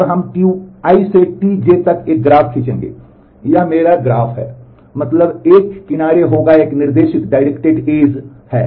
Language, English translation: Hindi, And we will draw an graph from T I to T j, that is my graph means there will be an edge is a directed edge